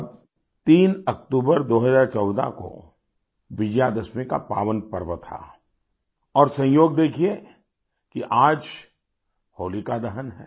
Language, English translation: Hindi, Then, on the 3rd of October, 2014, it was the pious occasion of Vijayadashmi; look at the coincidence today it is Holika Dahan